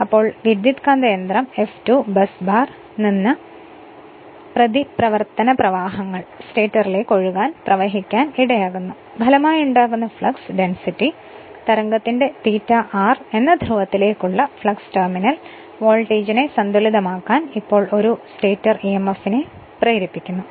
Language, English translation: Malayalam, So, F2 causes a reaction currents to flow into the stator from the busbar such that the flux per pole that is a phi r of the resulting flux density wave induces a stator emf to just balance the terminal voltage because now current is flowing through the rotor